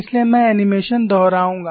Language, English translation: Hindi, So, I will repeat the animation